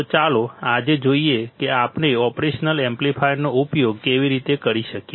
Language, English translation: Gujarati, So, today let us see how we can use the operational amplifier